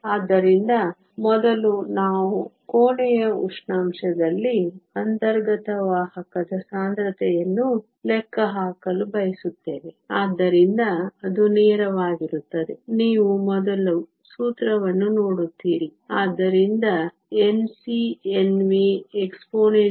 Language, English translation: Kannada, So, first we want to calculate the intrinsic carrier concentration at room temperature, so that is pretty straight forward, you seen the formula before, so N c N v exponential minus e g over 2 K T